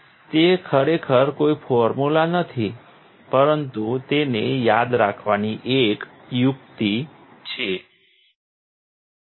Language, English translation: Gujarati, It is not really a formula, but it is a trick to remember